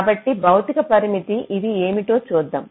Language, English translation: Telugu, so the physical constraint, let see what these are